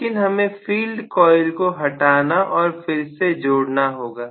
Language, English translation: Hindi, But of course I have to disconnect and reconnect the field coils